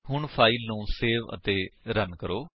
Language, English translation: Punjabi, Now Save the file and Run the program